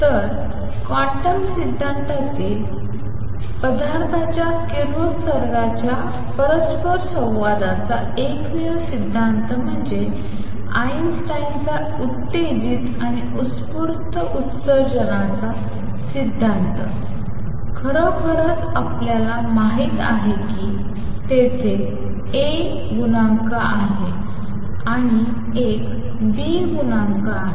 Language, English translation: Marathi, So, the only theory of matter radiation interaction in quantum theory is Einstein’s theory of stimulated and spontaneous emission in this really all we know is there exists a coefficient a there exists a coefficient b